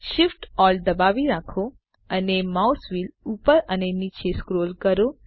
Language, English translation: Gujarati, Hold Shift, Alt and scroll the mouse wheel up and down